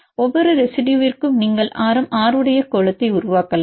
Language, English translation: Tamil, And for each residue you can construct a sphere of radius r